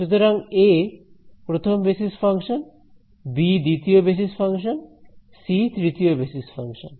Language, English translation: Bengali, So, a is the first basis function, b is the second basis function, c is the third basis function and so on